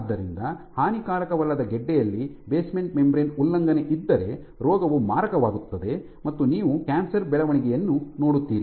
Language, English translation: Kannada, So, that is a benign tumor, but once they breach the basement membrane then the disease becomes malignant and you have cancerous growth